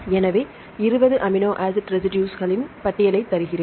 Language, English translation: Tamil, Now, what are the various chemical groups involved in 20 amino acid residues